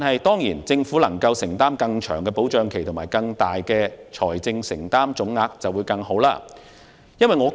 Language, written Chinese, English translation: Cantonese, 當然，如果政府能承擔更長的資助期及作出更大的財政承擔總額便更佳。, Of course it would be better if the Government could provide support for a longer subsidy period and make a larger financial commitment